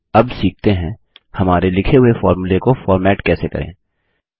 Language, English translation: Hindi, Now let us learn how to format the formulae we wrote